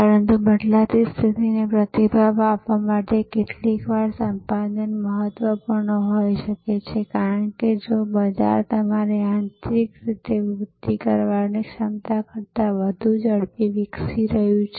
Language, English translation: Gujarati, But, in responding to the changing condition sometimes acquisition may be important, because if the market is growing at a rate faster than your ability to grow internally